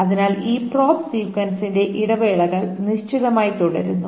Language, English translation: Malayalam, So the intervals of this probe sequence remain fixed